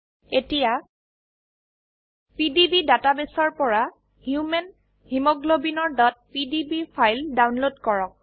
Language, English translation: Assamese, * Download the .pdb file of Human Hemoglobin from PDB database